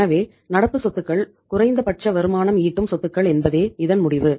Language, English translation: Tamil, So means that the conclusion is that current assets are least productive assets